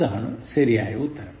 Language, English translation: Malayalam, is the correct answer